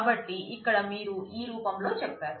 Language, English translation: Telugu, So, here you say that in this form